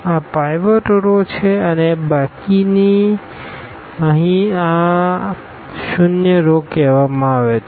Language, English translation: Gujarati, These are the pivotal row pivot rows and the rest here these are called the zero rows